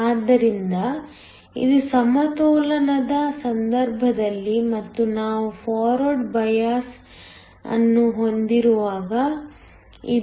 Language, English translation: Kannada, So, this is in the case of equilibrium and this is when we have a forward bias